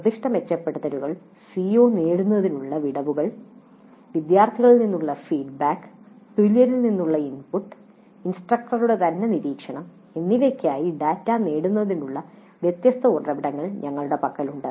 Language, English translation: Malayalam, So we have different sources of getting the data for specific improvements, CO attainment gaps, feedback from students, inputs from peers and observation by the instructor herself